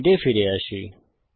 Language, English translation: Bengali, Come back to the slides